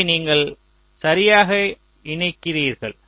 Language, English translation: Tamil, so you are correctly latching it here